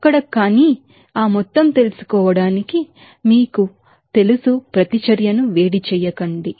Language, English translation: Telugu, There but to find out that total you know heat up reaction